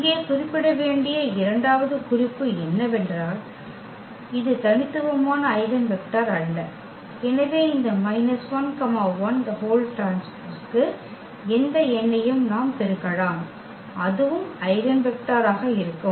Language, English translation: Tamil, Second point here which also needs to be mention that this is not the unique eigenvector for instance; so, we can multiply by any number to this minus 1 1 that will be also the eigenvector